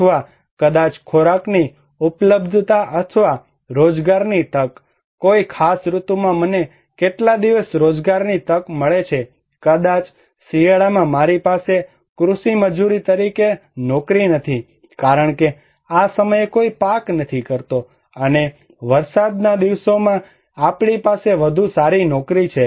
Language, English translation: Gujarati, Or maybe the food availability or employment opportunity, how many days I have employment opportunity in a particular season, maybe in winter I do not have any job in as agricultural labor because nobody is harvesting this time and we have better job during rainy days